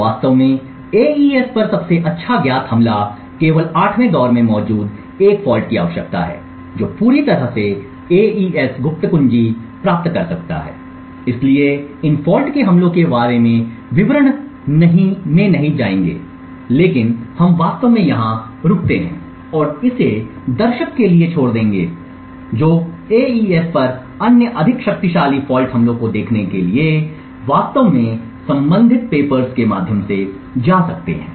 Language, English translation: Hindi, In fact the best known attack on AES just requires a single fault present in the 8th round which can completely obtain the AES secret key, so will not go into details about these fault attacks but we will actually stop over here and leave it to the interested viewers to actually go through the relevant papers to look at the other more powerful fault attacks on AES